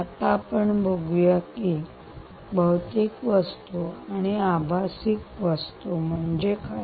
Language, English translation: Marathi, it says physical objects and virtual objects